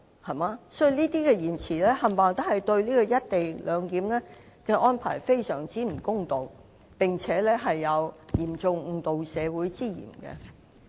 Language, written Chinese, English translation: Cantonese, 所以他們的言詞對"一地兩檢"的安排非常不公道，並有嚴重誤導社會之嫌。, I find their speeches very unfair to the co - location arrangement and seriously misleading . I so submit to set the record straight . Thank you President